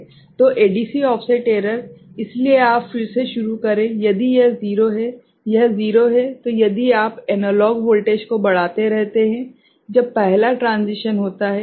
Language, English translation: Hindi, So, ADC offset error, so again you start if it is 0, it is 0, then if you keep increasing the analog voltage, when the first transition occurs ok